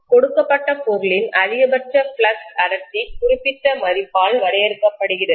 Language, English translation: Tamil, The maximum flux density for a given material is limited by certain value